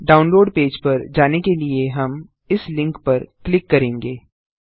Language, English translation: Hindi, We shall click on this link to take us to the download page